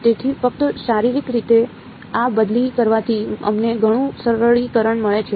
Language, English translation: Gujarati, So, just arguing this physically allows us a lot of simplification